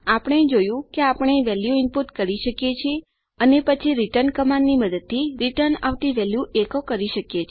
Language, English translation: Gujarati, We saw that we can input a value and then returned a value echoing out using a return command